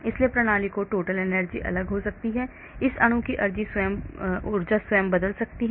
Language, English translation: Hindi, so the total energy of the system can be different the energy of this molecule itself can change